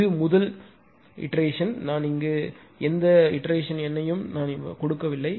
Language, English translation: Tamil, This is first iteration; I am not writing any iteration number here